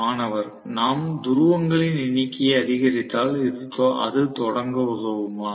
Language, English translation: Tamil, If we increase the number of poles will it help in starting